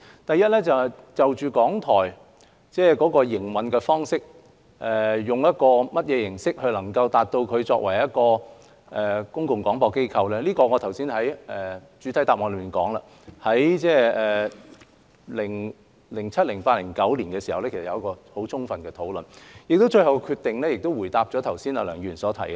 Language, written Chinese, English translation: Cantonese, 第一，關於港台以甚麼營運方式來擔當其作為公共擴播機構的角色，我剛才在主體答覆已說過，當局在2007年、2008年和2009年進行過很充分的討論，而最後的決定剛好回答梁議員的問題。, First regarding the mode of operation in which RTHK plays the role of a public service broadcaster I have already said in the main reply that the Administration had thorough discussions in 2007 2008 and 2009 and the final decision rightly answered Mr LEUNGs question